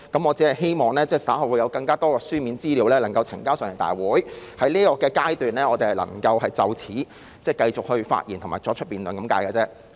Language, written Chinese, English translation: Cantonese, 我只是希望稍後會有更多書面資料能呈交立法會，而我們在這個階段能就此繼續發言及辯論。, I hope that more written information can be submitted to the Legislative Council later and by then we can continue to speak and debate on the issue